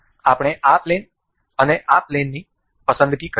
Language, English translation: Gujarati, We will select say this plane and this plane